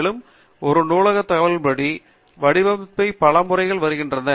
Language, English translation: Tamil, And, the format of a bibliographic information comes in several methods